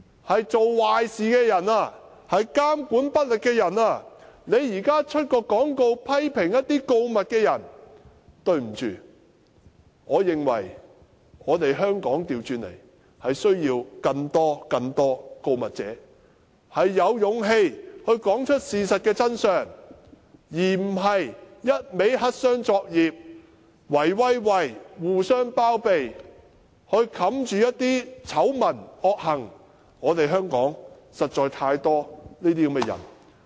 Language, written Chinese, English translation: Cantonese, 是做壞事、監管不力的人，現時卻刊登廣告批評告密的人，對不起，我認為香港反過來是需要更多告密者，有勇氣說出事實的真相，而不是只會黑箱作業，"圍威喂"，互相包庇來掩飾醜聞、惡行，香港實在有太多這些人。, Those who have done something bad and exercised inadequate supervision have now placed an advertisement to criticize the whistle - blowers . I am sorry . I think Hong Kong conversely needs more whistle - blowers who have the courage to speak out the truth instead of engaging in black - box and small - circle operations shielding each others scandals and evil deeds